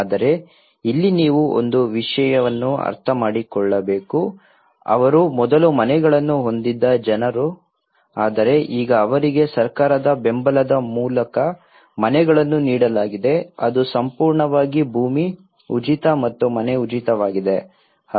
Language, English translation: Kannada, But here one thing you have to understand that they people who were having houses earlier but now they have been given houses through a government support which is completely land is free and the house is free